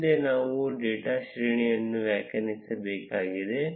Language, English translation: Kannada, Next, we need to define the data array